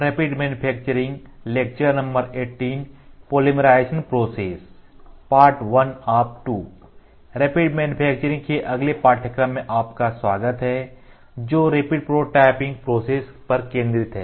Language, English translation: Hindi, So, welcome to the next lecture in the course of Rapid Manufacturing which is focused towards rapid prototyping processes